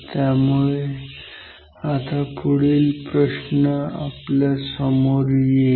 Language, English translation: Marathi, So now, next question we will ask is this